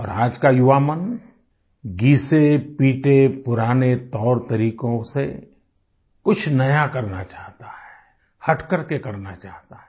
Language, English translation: Hindi, And today's young minds, shunning obsolete, age old methods and patterns, want to do something new altogether; something different